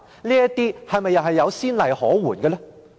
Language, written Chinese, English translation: Cantonese, 這些又是否有先例可援？, Is there a precedent that we can follow?